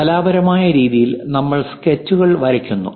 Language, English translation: Malayalam, In artistic way, we draw sketches